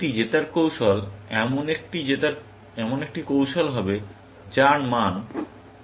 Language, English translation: Bengali, A winning strategy would be a strategy, whose value was 1, essentially